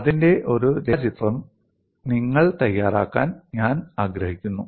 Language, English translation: Malayalam, I would like you to make a neat sketch of this